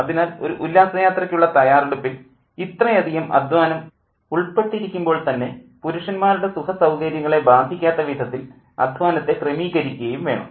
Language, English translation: Malayalam, So, while the picnic preparation involves a lot of labor, and that labor has to be carried out in such a way that men's comfort are not affected